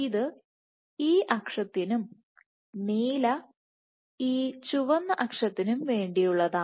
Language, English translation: Malayalam, This is for this axis and the blue is for this red axis